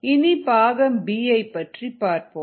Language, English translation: Tamil, we still have part b left